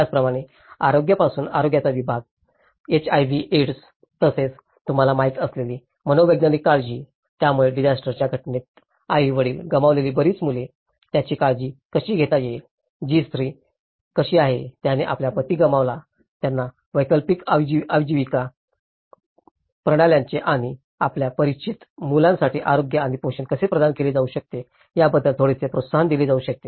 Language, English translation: Marathi, From the health similarly, the health segment, HIV AIDS, trafficking as well as psychosocial care you know, so because many of the children who lost their mothers, fathers in the event of disaster, how they could be taken care of, how the woman who lost their husbands could be given some encouragement of an alternative livelihood systems and how health and nutrition could be provided for children you know